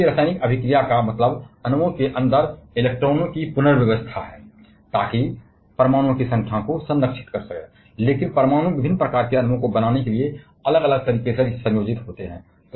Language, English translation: Hindi, And any chemical reaction means rearrangement of electrons inside the molecules so that the number of atoms are conserved, but atoms combine in different way to form different kinds of molecules